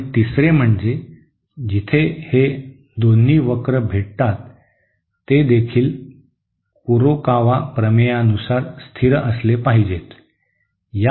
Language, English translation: Marathi, And third, this point where these two curves meet should also be stable according to the Kurokawa theorem